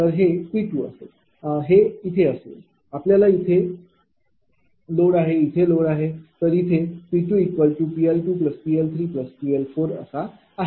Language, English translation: Marathi, It will be P 2 will be here you have load here you have load here you P L 2 plus P L 3 plus P L 4